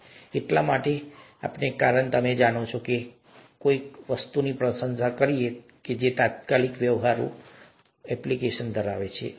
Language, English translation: Gujarati, That is because you know we tend to appreciate something that has an immediate practical application